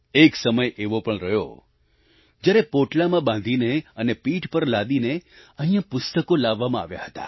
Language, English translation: Gujarati, There was a time when the books were brought here stuffed in sacks and carried on the back